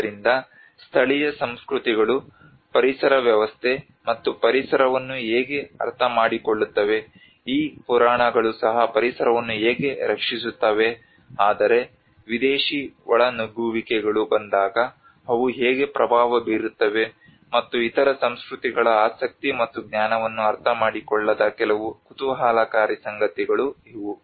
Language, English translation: Kannada, So these are some of the interesting facts that how local cultures understand the ecosystem and the environment, how these myths also protect the environment but when the foreign intrusions comes, how they get impacted, and one do not understand the other cultures interest and knowledge